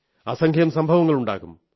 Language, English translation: Malayalam, There must be innumerable incidents